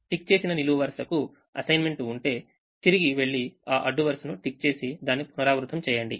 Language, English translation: Telugu, if a ticked column has an assignment, go back and tick that row and keep repeating it